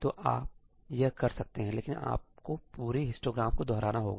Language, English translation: Hindi, So, you can do that, but you have to replicate the entire histogram